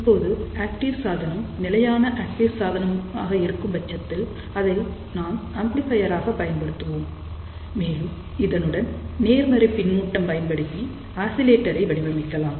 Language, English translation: Tamil, Now, active device can be a stable active device, in that particular case we will use that as an amplifier and use positive feedback to design oscillator